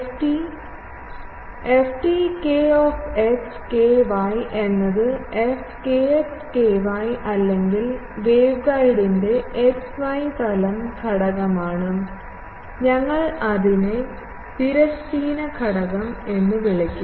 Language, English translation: Malayalam, ft kx ky is the xy plane component of f kx ky or in, waveguide we will call it transverse component